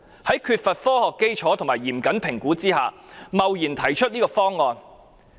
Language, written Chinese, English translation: Cantonese, 在缺乏科學基礎和嚴謹評估下，她貿然提出這個方案。, Without scientific basis and stringent assessment she has hastily proposed this option